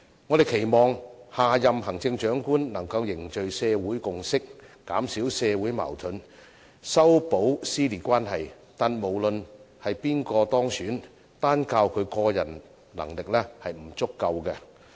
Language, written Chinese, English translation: Cantonese, 我們期望下任行政長官能夠凝聚社會共識，減少社會矛盾，修補撕裂關係，但無論是誰當選，單靠他個人能力是不足夠的。, We hope that the next Chief Executive can forge social consensus reduce social conflicts and repair our dissension . Irrespective of who is elected his personal ability alone is insufficient